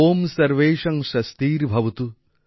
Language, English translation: Bengali, Om Sarvesham Swastirbhavatu